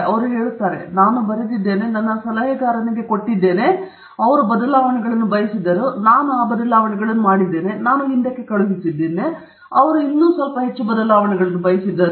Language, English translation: Kannada, They will say, you know, I wrote something, I gave it to my advisor and then he wanted some changes; I made those changes, I sent it back, he wanted some more changes